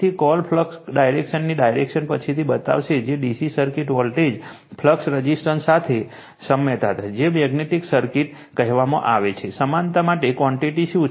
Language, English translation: Gujarati, So, direction of the you are what you call flux line later we will show you that is analogy to DC circuit voltage current resistance to your what you call magnetic circuit what are those quantity for analogous to that right